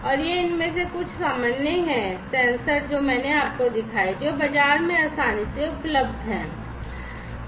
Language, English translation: Hindi, And these are some of these common sensors that I have shown you which are readily available in the market